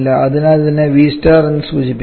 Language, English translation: Malayalam, Therefore let us denote this one as V star